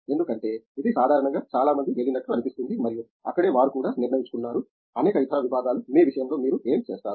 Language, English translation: Telugu, Because that’s normally where many seem to go and that’s where they have decided also, many of the other departments, in your case what do you see that